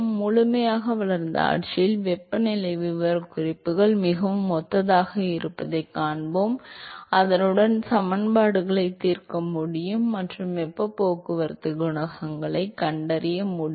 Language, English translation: Tamil, We will show that the temperature profiles in the fully developed regime, is very similar and with that, we will be able to solve the equations and we will be able to find the heat transport coefficient